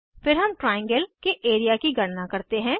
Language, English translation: Hindi, Then we calculate the area of the triangle